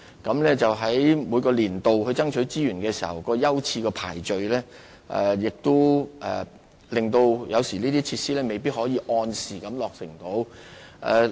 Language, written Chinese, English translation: Cantonese, 然而，在每個年度爭取資源時，有關設施的優次排序有時會導致這些設施未必能夠按時落成。, However during the resources allocation exercise each year sometimes the order of priority may make it impossible for the relevant facilities to be completed on time